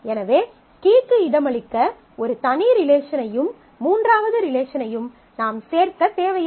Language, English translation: Tamil, So, you do not need to add a separate relation for accommodating the key and also the third relation